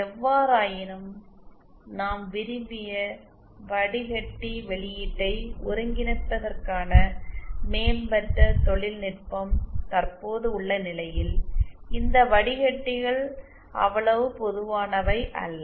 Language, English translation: Tamil, However with the present day where we have the advanced technology for synthesizing our desired filter response these filters are not that common